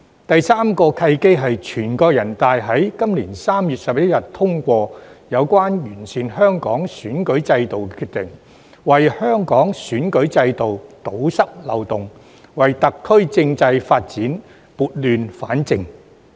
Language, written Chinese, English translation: Cantonese, 第三個契機是全國人大在今年3月11日通過有關完善香港選舉制度的決定，為香港選舉制度堵塞漏洞，為特區政制發展撥亂反正。, The third opportunity was when on 11 March this year the National Peoples Congress passed the decision on improving the electoral system of Hong Kong thus plugging the loopholes therein and bringing order out of the chaos in the constitutional development of the Special Administrative Region SAR